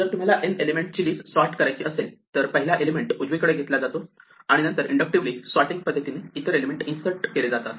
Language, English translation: Marathi, And then if you want to sort a list with n elements, we pull out the first element right and then we insert it into the result of inductively sorting the rest